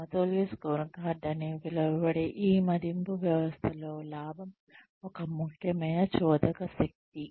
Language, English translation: Telugu, Profit is an essential driving force, in this appraisal system, called the balanced scorecard